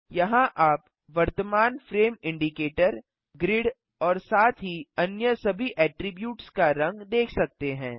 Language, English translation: Hindi, Here you can see the color of the current frame indicator, grid and all other attributes as well